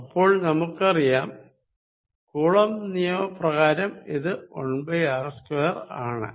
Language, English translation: Malayalam, So, we know very well that this coulomb's law is really 1 over r square